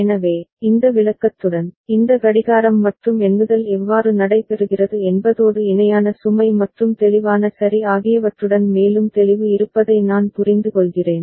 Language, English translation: Tamil, So, I understand that with this illustration, there is more clarity about how this clocking and counting takes place and along with the parallel load and clear ok